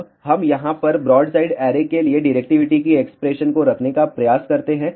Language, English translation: Hindi, Now, let us try to put the expression of directivity for broadside array over here